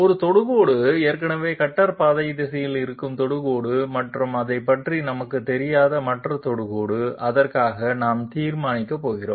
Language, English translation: Tamil, One tangent is, already the existing tangent in the cutter path direction and the other tangent we do not know about it, we are going to solve for it